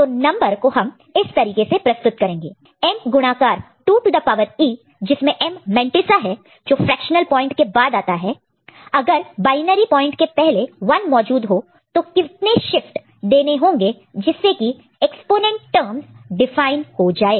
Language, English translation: Hindi, So, the number will be represented in this form M into 2 to the power E, M is the mantissa part that is what is coming after the fractional point, when a 1 is present just before the binary point and the number of shift that is required for which the exponent terms gets defined ok